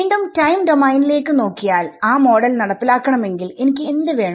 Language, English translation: Malayalam, Again looking back at the time domain picture if I wanted to implement that model what do I need